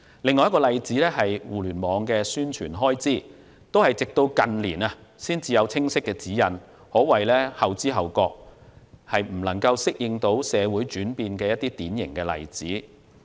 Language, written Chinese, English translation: Cantonese, 另一個例子是互聯網的宣傳開支，當局直至近年才有清晰指引，可謂後知後覺，未能適應社會轉變的典型例子。, Another example is the expenses on publicity on the Internet . The authorities have only formulated clear guidelines in recent years; this is a typical example of lacking awareness and failing to adapt to social changes